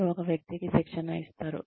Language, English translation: Telugu, You train one person